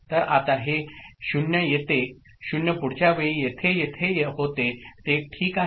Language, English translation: Marathi, So, this 0 now comes to 0 that was there over here in the next time point it comes over here is it ok, right